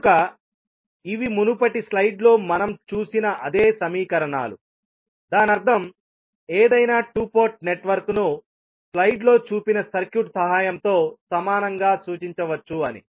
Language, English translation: Telugu, So, these are the same equations which we just saw in the previous slide, so that means that any two port network can be equivalently represented with the help of the circuit shown in the slide